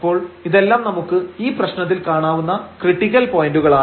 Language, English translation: Malayalam, So, all these are the critical points which we can see here in this problem